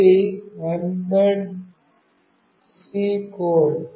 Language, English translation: Telugu, This is the Mbed C code